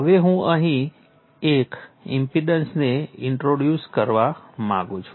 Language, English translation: Gujarati, Now I would like to introduce an impedance here